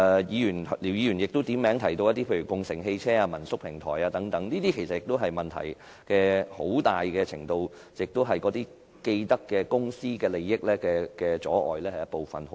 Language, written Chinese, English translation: Cantonese, 姚議員亦點名提到共乘汽車、民宿平台等，其實它們的發展出現問題，很大程度是受到既得利益公司阻礙。, Mr YIU also mentioned carpooling and homestay platforms . In fact the problems in their development largely arise from the obstruction posed by companies with vested interests . Mr YIU might have misunderstood my original motion